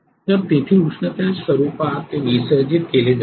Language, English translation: Marathi, So it will be dissipated in the form of heat there